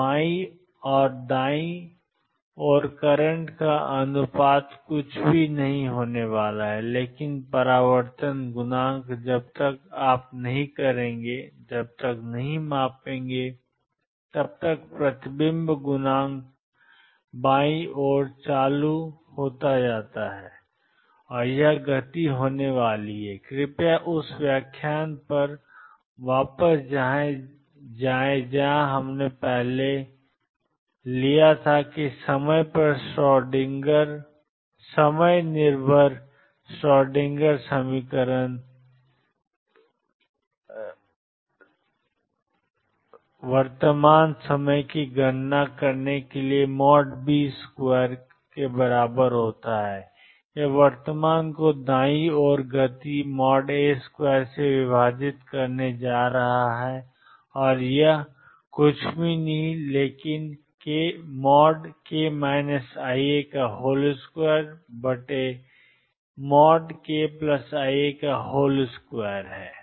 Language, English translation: Hindi, So, the ratio of current to the left divided by current to the right is going to be nothing, but the reflection coefficient unless you would the reflection coefficient is current to the left is going to be the speed this you please go back to the lecture where we took time dependent Schrodinger equation to calculate the current times mod B square current to the right is going to be speed divided by mod A square and this is going to be nothing, but mod of k minus i alpha square over mod of k plus i alpha square which is nothing, but 1